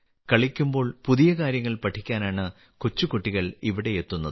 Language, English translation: Malayalam, Small children come here to learn new things while playing